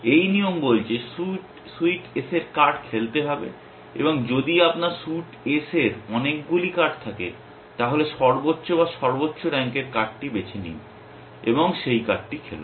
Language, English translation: Bengali, and if you have many cards of suite S, then pick the one which is the highest or highest rank card and play that card